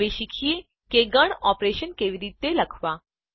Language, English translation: Gujarati, Let us now learn how to write Set operations